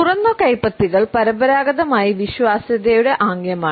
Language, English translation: Malayalam, Open palms are traditionally a gesture of trustworthiness